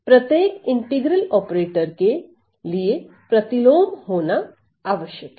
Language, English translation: Hindi, So, for each integral operator the inverse must exist